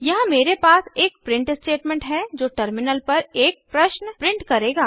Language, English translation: Hindi, Here I have a print statement, which will print a question on the terminal